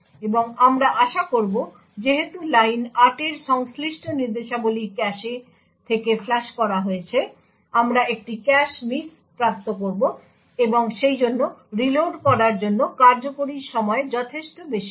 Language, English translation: Bengali, And as we would expect since the instructions corresponding to line 8 has been flushed from the cache, we would obtain a cache miss and therefore the execution time to reload would be considerably large